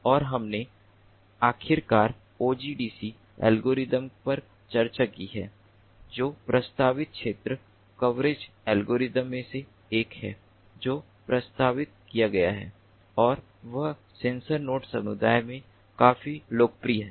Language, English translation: Hindi, and we have finally discussed the ah ogdc algorithm, which is one of the important ah area coverage algorithms that have been proposed and is quite popularly used in the sensor networks community